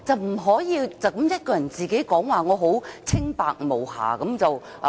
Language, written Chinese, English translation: Cantonese, 不可以只是自己一個人說："我很清白無瑕。, You cannot just claim on your own that you are clean and innocent